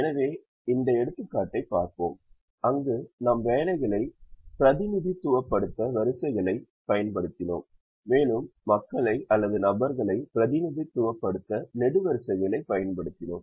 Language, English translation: Tamil, so let us look at this example where we used the rows to represent the jobs and we used the columns to represent the people